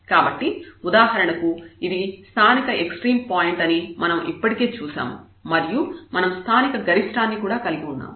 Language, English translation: Telugu, So, we have already seen that this is for example, the point of local extrema here, we have a local maximum